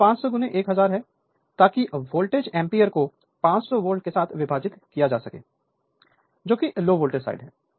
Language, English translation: Hindi, So, this is 500 into 1000 so volt ampere and divided by 500 volt, the low voltage side right